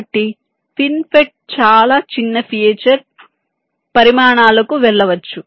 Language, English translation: Telugu, so fin fet can go down to much small of feature sizes